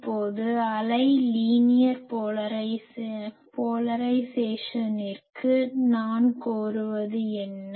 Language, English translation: Tamil, Now, for the wave to be linear polarized what I demand